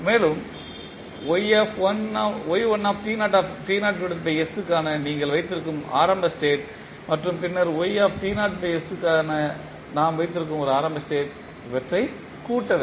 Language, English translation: Tamil, And, plus the initial condition you have for y1 t naught by s and then for y we have yt naught by s as a initial condition